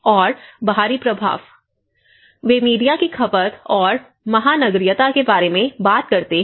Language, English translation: Hindi, And external influence; they talk about the media consumption and cosmopolitaness